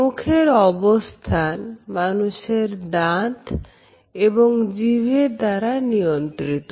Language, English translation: Bengali, The shapes which our mouth takes are also supported by our teeth and our tongue